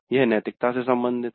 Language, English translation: Hindi, This is also part of the ethics